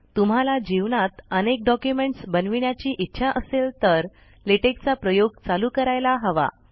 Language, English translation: Marathi, If you are going to create many documents in the rest of your life, it is time you started using Latex